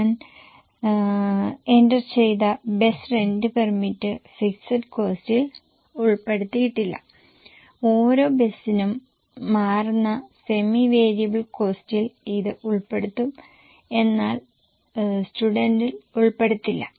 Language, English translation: Malayalam, Bus rent permit though I have entered will not be included in fixed cost, it will rather be included in semi variable cost which changes per bus, not per student